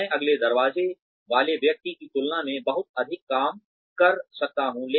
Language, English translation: Hindi, I may be putting in a lot more work than, the person next door